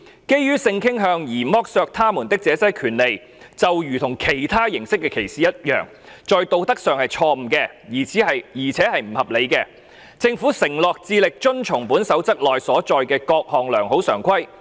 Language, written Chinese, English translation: Cantonese, 基於性傾向而剝奪他們這些權利，就如其他形式的歧視一樣，在道德上是錯誤的，而且是不合理的......政府承諾致力遵從本守則內所載的各項良好常規。, To deny them this right on the ground of their sexual orientation is morally wrong and irrational as are all forms of discrimination The Government is committed to following the practices recommended in this Code